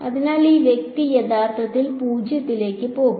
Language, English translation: Malayalam, So, this guy is going to actually tend to 0